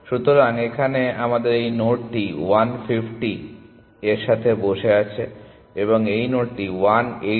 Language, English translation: Bengali, So, here we have this node sitting with 150 and this node sitting with 180